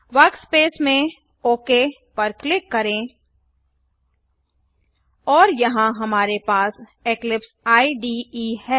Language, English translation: Hindi, Click Ok at the workspace and here we have the Eclipse IDE